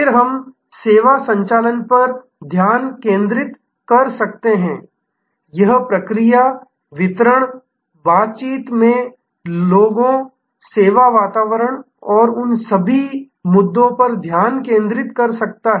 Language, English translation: Hindi, We then we can look at the focus on service operations, that is the process, the delivery, the people in interaction, the service environment and all of those issues